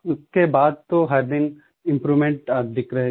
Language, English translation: Hindi, After that, there was improvement each day